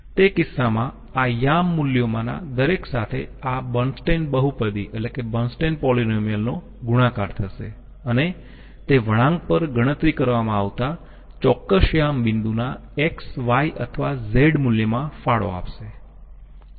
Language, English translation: Gujarati, In that case with each of these coordinate values this Bernstein polynomial will be multiplied and it will be contributing to the X, Y or Z value of the particular coordinate point being calculated with way on the curve